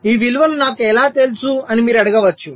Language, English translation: Telugu, well, you can ask that: how do i know these values